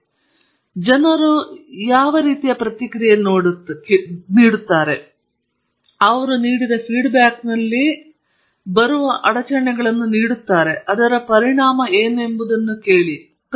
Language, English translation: Kannada, So, what people do is now do a mathematical model of the process, they give the disturbances that come in the feed to the model and ask what is the consequence